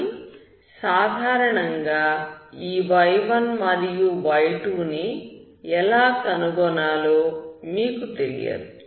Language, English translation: Telugu, But in general you do not know how to find your y1 and y2